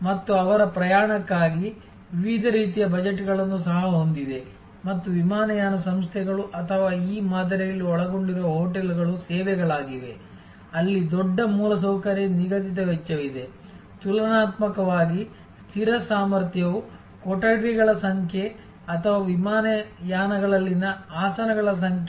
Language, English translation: Kannada, And also have different kinds of budgets for their travel and airlines or hotels involved in this paradigm are services, where there is a big infrastructure fixed cost, relatively fixed capacity like number of rooms or number of seats on the airlines